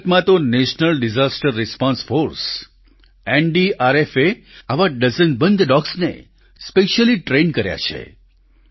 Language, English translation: Gujarati, In India, NDRF, the National Disaster Response Force has specially trained dozens of dogs